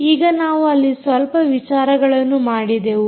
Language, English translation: Kannada, so now, we did a little bit few things as well there